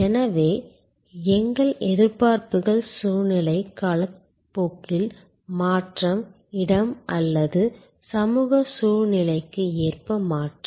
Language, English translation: Tamil, So, our expectations are contextual, the change over time, the change according to location or social situation